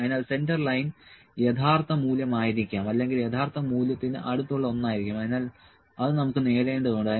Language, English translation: Malayalam, So, centre line might it be the true value or something close to true value, so that we need to achieve